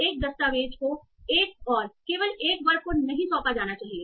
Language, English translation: Hindi, A document need not be assigned to one and only one class